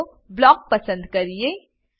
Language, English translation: Gujarati, Let us select Block